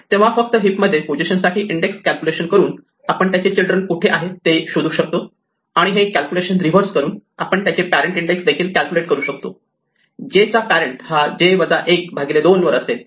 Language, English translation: Marathi, So, just by doing index calculations for a position in the heap we can figure out where itÕs children are and by reversing this calculation we can also find the index of the parent, the parent of j is that j minus 1 by 2